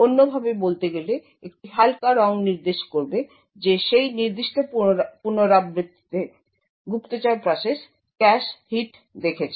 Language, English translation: Bengali, In other words a lighter color would indicate that the spy process in that particular iteration had observed cache hits